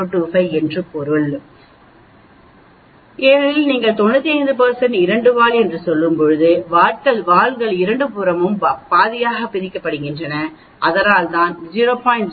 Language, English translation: Tamil, 025 because when you say 95 % two tail the tails are divided half on both the sides that is why you get 0